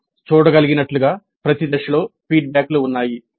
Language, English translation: Telugu, As we can see there are feedbacks at every stage